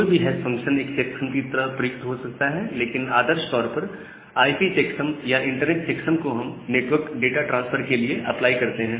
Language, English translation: Hindi, So, any hash function can be used as a checksum, but ideally these IP checksum or internet checksum which we apply for network data transfer